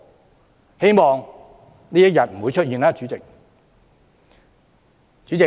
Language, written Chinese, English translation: Cantonese, 主席，希望這一天不會出現。, President I just hope this will not happen one day